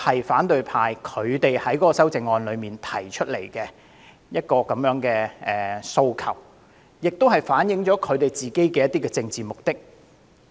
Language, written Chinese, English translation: Cantonese, 反對派在修正案中提出的這些訴求，反映了他們的政治目的。, By making such requests in their amendments the opposition Members have made their political intention clear